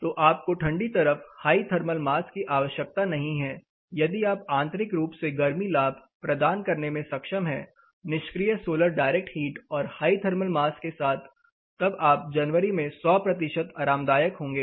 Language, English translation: Hindi, So, you do not need high thermal mass you are on the colder side, if you are able to provide internally heat gains and passive solar direct heat gain along with high thermal mass you are going to be 100 percent comfortable in January